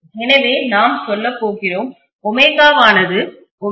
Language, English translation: Tamil, So we are going to say this as omega equal to 2 pi f